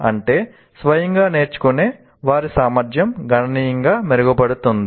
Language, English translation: Telugu, That means their ability to learn by themselves will significantly improve